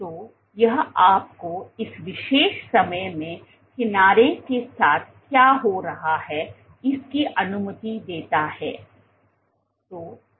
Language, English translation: Hindi, So, this allows you to capture what is happening at this particular time instant along the edge